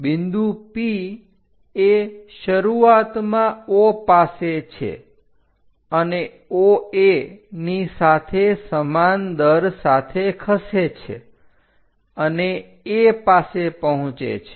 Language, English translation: Gujarati, A point P initially at O moves along OA at a uniform rate and reaches A